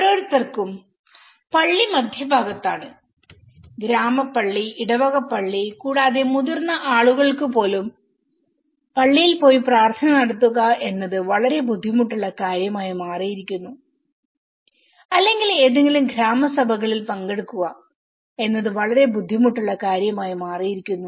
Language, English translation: Malayalam, For every, the church is in the centre, the village church, the parish church and even for the elder people to go and conduct their prayers in the church it has become a very difficult thing or to attend any village councils meeting it has become very difficult thing